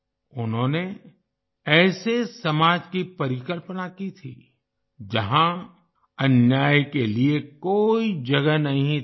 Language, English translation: Hindi, He envisioned a society where there was no room for injustice